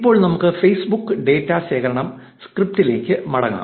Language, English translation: Malayalam, Now, let us go back to the Facebook data collection script